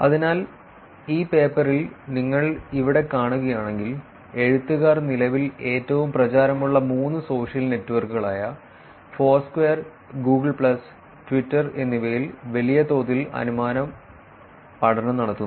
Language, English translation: Malayalam, So, if you see here in this paper the authors perform a large scale inference study in three of the currently most popular social networks like Foursquare, Google plus and Twitter